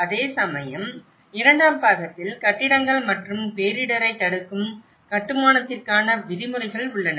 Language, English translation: Tamil, Whereas, in the second part regulations for buildings and disaster resistant construction